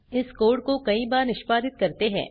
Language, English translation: Hindi, I will run this code a few times